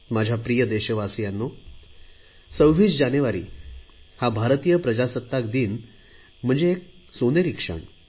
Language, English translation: Marathi, My dear countrymen, 26th January is the golden moment in the life of Indian democracy